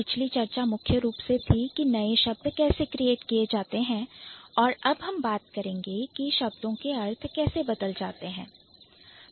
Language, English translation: Hindi, The previous discussion was primarily about how the new words are created and now we are going to talk about how the meaning has been changed